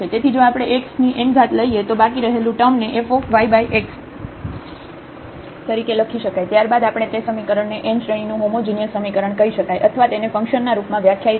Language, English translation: Gujarati, So, if we can bring this x power n and then the rest term can be written as a function of y over x, then we call such expression as a a homogeneous expression of order n or in terms of the functions we can define